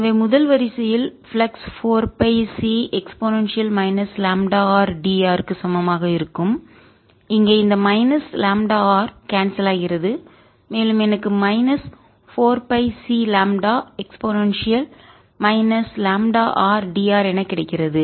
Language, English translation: Tamil, the flux is going to be equal to four pi c e raise to minus lambda r cancels, and i get minus four pi c lambda e raise to minus lambda r d r